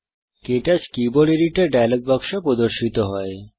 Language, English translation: Bengali, The KTouch Keyboard Editor dialogue box appears